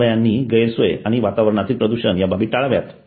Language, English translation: Marathi, Hospital should avoid inconvenience and atmospheric pollution